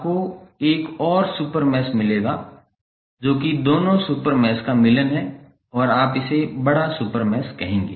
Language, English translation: Hindi, You will get an another super mesh which is the union of both of the super meshes and you will call it as larger super mesh